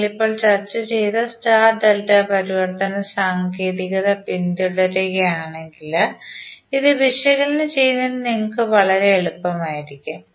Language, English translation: Malayalam, But if you follow the star delta transformation technique, which we just discussed, this will be very easy for you to analyse